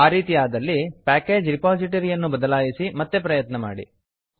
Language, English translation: Kannada, In that case, change the package repository and try again